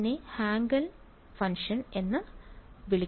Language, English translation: Malayalam, It is called a Hankel function